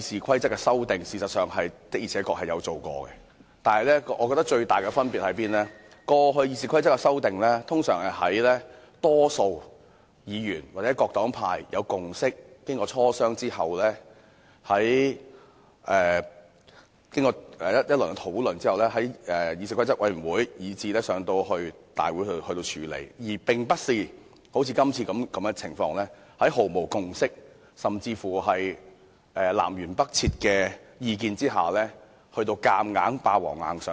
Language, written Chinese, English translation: Cantonese, 過去確實曾修改《議事規則》，但我認為最大的分別是，過去的《議事規則》修訂通常是在大多數議員或黨派已有共識，經過磋商及討論後，由議事規則委員會提交大會處理，而並非好像今次般，在毫無共識，意見甚至南轅北轍的情況下"霸王硬上弓"。, It is true that we did make amendments to the Rules of Procedure previously but I think the biggest difference is that unlike the amendments proposed this time amendments to the Rules of Procedure were usually made with consensus among the majority of Members or political parties previously and the proposals were often submitted by the Committee on Rules of Procedure for deliberation at a Council meeting after negotiations and discussions